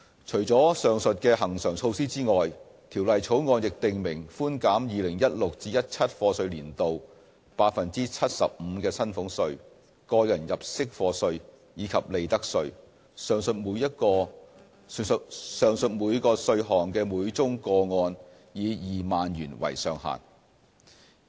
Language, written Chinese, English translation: Cantonese, 除了上述恆常措施外，《條例草案》亦訂明寬減 2016-2017 課稅年度 75% 的薪俸稅、個人入息課稅，以及利得稅，上述每個稅項的每宗個案以2萬元為上限。, In addition to the aforementioned recurrent measures the Bill also sets out a reduction of salaries tax tax under personal assessment and profits tax for the year of assessment 2016 - 2017 by 75 % subject to a ceiling of 20,000 per case